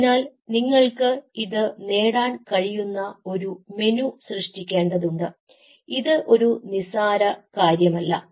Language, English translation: Malayalam, now, in order to do so, you have to create a menu where you can achieve this, and this is not something a trivial problem